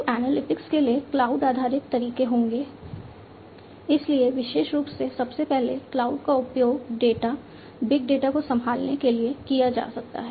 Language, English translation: Hindi, So, cloud based methods for analytics would be; so first of all, cloud could be used for handling data big data, more specifically